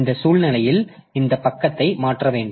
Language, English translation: Tamil, So, under this situation, so we have to have this page replacement